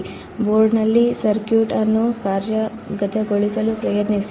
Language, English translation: Kannada, Try to implement the circuit on the breadboard